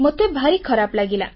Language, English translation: Odia, I feel very bad